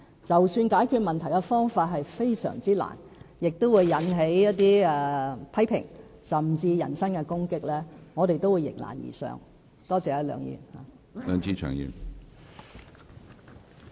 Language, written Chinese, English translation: Cantonese, 儘管解決問題的方法非常困難，會引起一些批評，甚至人身攻擊，我們都會迎難而上，多謝梁議員。, Even though these problems are rather difficult to resolve and they will arouse various criticisms or even personal attacks we will still forge ahead in the face of difficulties . Thank you Mr LEUNG